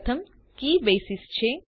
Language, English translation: Gujarati, The first key is Basis